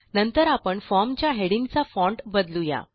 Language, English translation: Marathi, Next, let us change the font of the heading on our form